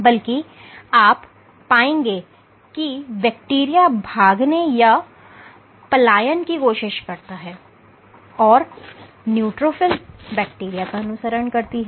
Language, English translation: Hindi, rather what you will find this is the bacteria tries to escape and the neutrophil chases the bacteria